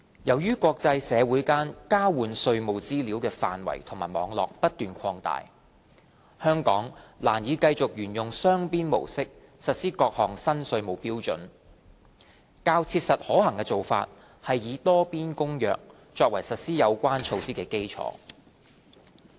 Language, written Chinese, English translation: Cantonese, 由於國際社會間交換稅務資料的範圍及網絡不斷擴大，香港難以繼續沿用雙邊模式實施各項新稅務標準，較切實可行的做法是以《多邊公約》作為實施有關措施的基礎。, Given the continued expansion in the scope and network of tax information exchanges in the international community Hong Kong can no longer sticks to the established bilateral approach for implementing various new tax standards . A more practical approach will be riding on the Multilateral Convention to implement the relevant initiatives